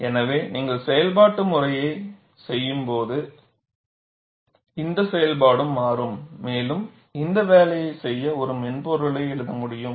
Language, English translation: Tamil, So, this function also will change when you do the iterative process and it is possible to write software to do this job